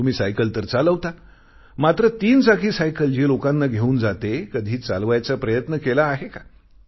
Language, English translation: Marathi, You're able to ride a bicycle but have you ever tried to operate the threewheeler cycle or rickshaw which transports people